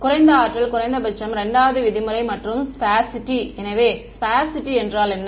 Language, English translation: Tamil, Least energy is minimum 2 norm and sparsity; so, what is sparsity means